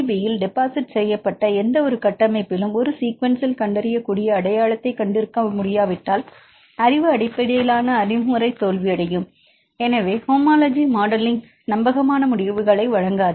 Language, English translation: Tamil, So, if a sequence cannot have in detectable identity with any of the structures deposited in PDB in this case the knowledge based approach will fail and homology modelling may not give a reliable results